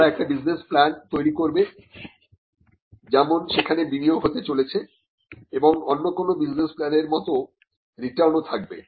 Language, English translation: Bengali, They make a business plan like there is going to be investments and there are going to be returns just like an in any other business plan